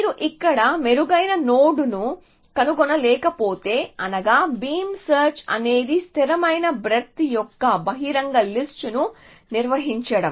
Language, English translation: Telugu, If you do not find a better node here, meaning of beam search is that you maintain an open list of constant width